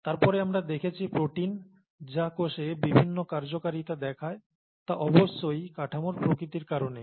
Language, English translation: Bengali, And then of course proteins which which form very many different functions in the cell because of the nature of the structure